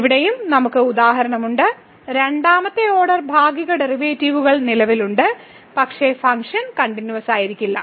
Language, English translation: Malayalam, So now the next example it shows the existence of the second order partial derivative though the function is not continuous